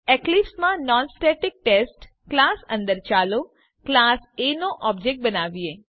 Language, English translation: Gujarati, Inside class NonStaticTest in Eclipse let us create an object of the class A